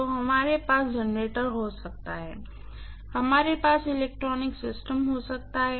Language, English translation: Hindi, So, we may have generator, we may have electronic system